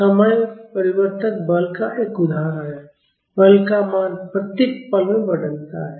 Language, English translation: Hindi, So, this is an example of a time varying force, the value of force changes at each instant